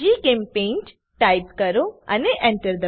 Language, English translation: Gujarati, Type GChemPaint and press Enter